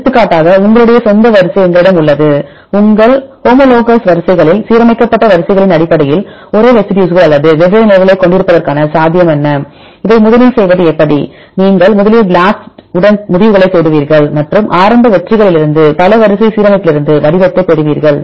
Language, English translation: Tamil, For example, we have your own sequence; what is the possibility of having the same residues or different positions depending based on the aligned sequences in your homologous sequences how to do this first you search the results with the BLAST and derive the patterns derive the pattern from the multiple sequence alignment from the initial hits